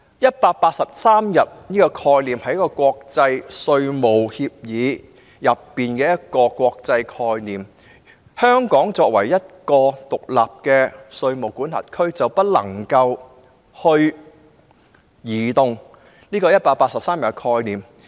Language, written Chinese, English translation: Cantonese, "183 天"的概念源自國際稅務協議，而香港作為一個獨立的稅務管轄區，是不能移動這個概念的。, Actually the concept of 183 days came from international tax agreements . As an independent tax jurisdiction Hong Kong should make no attempt to alter it